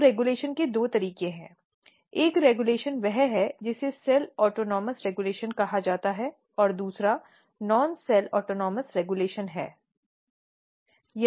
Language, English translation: Hindi, So, there are two way of regulation one regulation is that which is called cell autonomous regulation or non cell autonomous regulation